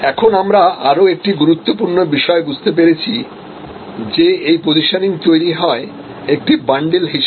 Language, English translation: Bengali, Now, we come to another important understanding that this positioning, when it is created it is usually a bundle